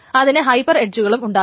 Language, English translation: Malayalam, It can have hyper edges as well